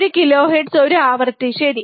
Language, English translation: Malayalam, Frequency is one kilohertz, one kilohertz is a frequency, alright